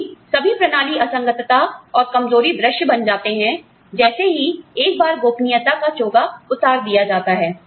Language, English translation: Hindi, Since, all the systems inconsistencies and weaknesses, become visible, once the cloak of secrecy is lifted